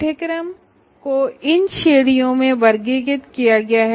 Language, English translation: Hindi, First courses are classified into these categories